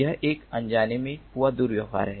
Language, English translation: Hindi, this is an unintentional misbehavior